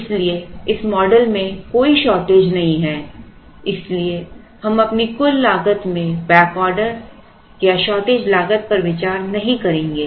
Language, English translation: Hindi, So, there is no shortage assumption in this model therefore, we will not consider back order or shortage cost in our total cost